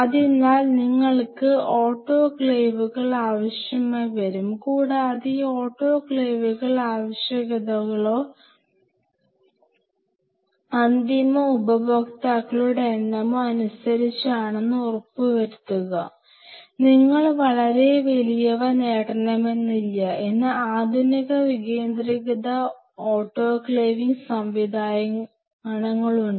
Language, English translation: Malayalam, So, you will be needing autoclaves and ensure that these autoclaves are according to the requirements or number of end users you do not want to get a very huge ones, which is kind of tough there are modern days facilities where they have centralized autoclaving